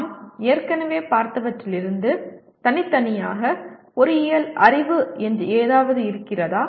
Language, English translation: Tamil, Is there anything called engineering knowledge separate from what we have already looked at